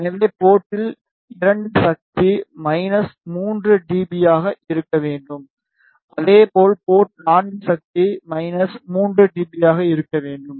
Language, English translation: Tamil, So, at port 2 the power should be minus 3 dB similarly at port 4 power should be minus 3 dB